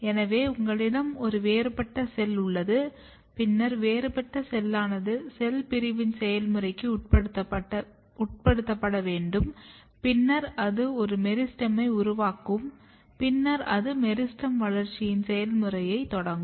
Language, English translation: Tamil, So, you have a differentiated cell then the differentiated cell has to undergo the process of cell division and then it will generate a kind of meristem, and then that meristem will start the process of development